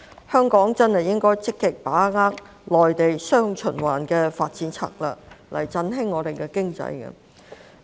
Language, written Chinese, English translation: Cantonese, 香港真的應該積極把握內地"雙循環"的發展策略，以振興我們的經濟。, Hong Kong should really actively seize the opportunities arising from the Mainlands development strategy of dual circulation to boost our economy